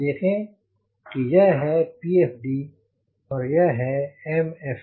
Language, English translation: Hindi, you will see this is the pfd and the imfd